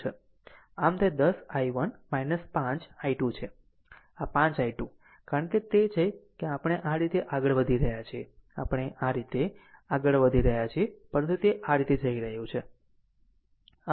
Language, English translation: Gujarati, So, it will be 10 i 1 it is 10 i 1 minus this 5 i 2, because it is it is we are moving this way we are moving this way, but it is going this way